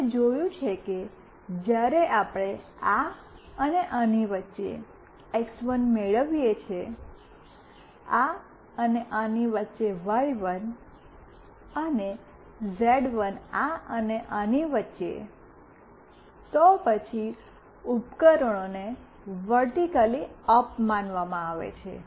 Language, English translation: Gujarati, We have seen that when we are getting x1 between this and this, y1 between this and this, and z1 between this and this, then the devices is consider to be vertically up